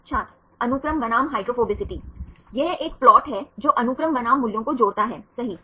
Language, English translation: Hindi, Sequence vs hydrophobicity It’s a plot connecting sequence versus values right